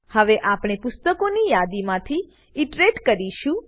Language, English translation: Gujarati, So we will iterate through the book list